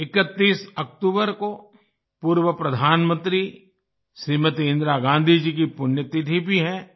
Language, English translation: Hindi, The 31st of October is also the death anniversary of former Prime Minister Smt Indira Gandhi Ji